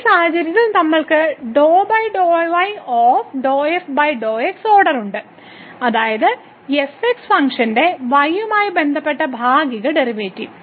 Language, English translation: Malayalam, So, what we are now doing we are taking the partial derivatives of this function